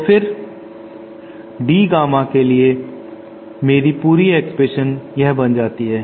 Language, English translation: Hindi, So then my complete expression for D Gamma becomes this